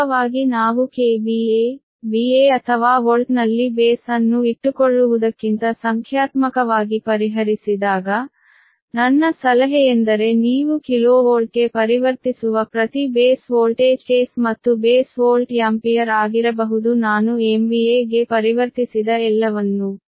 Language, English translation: Kannada, actually, when we solved numericals, rather than keeping base in k v a, v a or volt, my suggestion is everything you per base voltage case, you transform it to you cons, a, you converted to kilovolt and whatever may be the base, ah, volt, ampere, all that i have converted to m v a